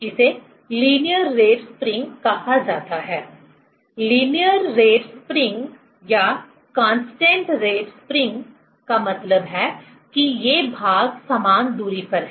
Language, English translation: Hindi, It is called linear rate spring; linear rate spring or constant rate spring means these patches are equidistance